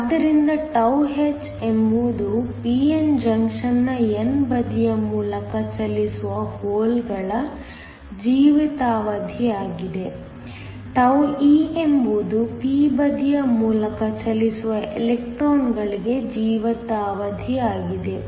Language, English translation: Kannada, So, τh is the lifetime of the holes that are travelling through the n side of the p n junction, τe is for the electrons that are traveling through the p side